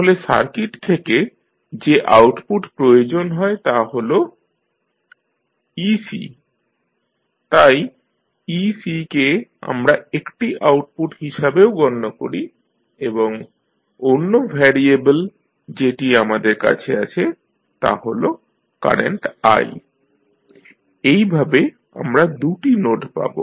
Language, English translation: Bengali, So, the output which is required from the particular circuit is ec, so ec we consider as an output also and then the other variable which we have is current i, so, we have got these two nodes